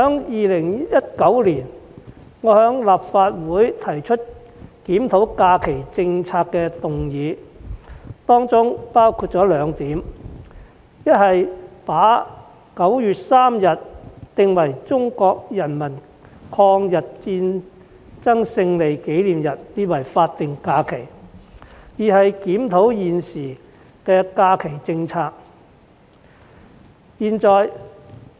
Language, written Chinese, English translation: Cantonese, 2019年，我在立法會提出檢討假期政策的議案，當中包括兩點，一是把9月3日定為中國人民抗日戰爭勝利紀念日法定假日，二是檢討現時的假期政策。, In 2019 I proposed a motion on reviewing the holiday policy in the Legislative Council . It includes two points one is the designation of 3 September as a statutory holiday commemorating the Victory Day of the Chinese Peoples War of Resistance against Japanese Aggression and the other is the review of the existing holiday policy